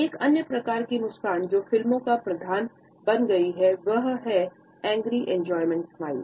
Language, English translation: Hindi, Another type of a smile which has become a staple of films and similar media etcetera is the angry enjoyment smile